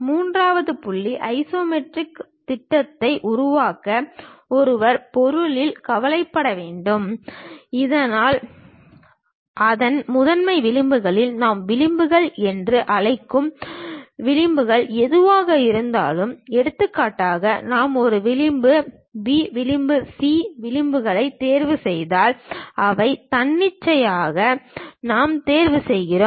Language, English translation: Tamil, The third point, to produce isometric projection; one has to worry in the object, so that its principal edges, whatever the edges we call principal edges, for example, if I am choosing A edge, B edge, C edge, these are arbitrarily I am choosing